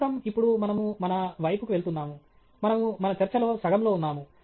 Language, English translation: Telugu, Right so, now we are on to our… we are halfway into our talk